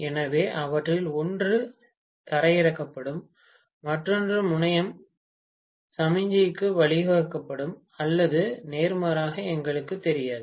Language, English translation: Tamil, So, one of them will be grounded and the other terminal will be given to the signal or vice versa, we do not know, right